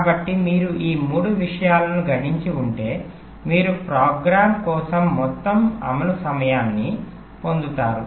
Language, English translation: Telugu, so if you multiple this three thing together, you get the total execution time for a program